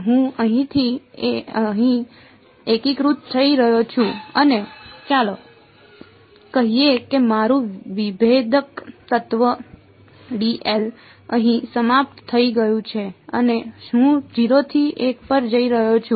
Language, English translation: Gujarati, I am integrating from here to here and let us say my differential element is d l over here and I am going from 0 to l ok